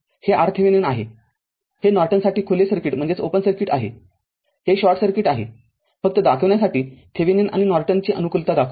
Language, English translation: Marathi, This is for Thevenin it is open circuit for Norton, it is short circuit just to show you give you a favor of Thevenin and Norton